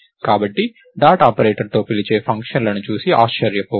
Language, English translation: Telugu, So, don't be surprised by functions being called with the dot operator